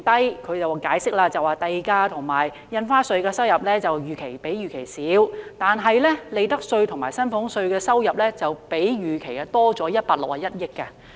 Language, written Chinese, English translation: Cantonese, 根據政府的解釋，是因為地價和印花稅收入較預期少，但利得稅及薪俸稅的收入則較預期多出161億元。, According to the Governments explanation it was due to lower - than - expected revenue from land premium and stamp duties while revenue from profits tax and salaries tax was higher than the original estimate by 16.1 billion